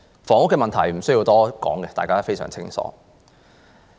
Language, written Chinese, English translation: Cantonese, 房屋問題無須多說，大家都非常清楚。, There is no need to say too much about the housing problem as everybody is well aware of it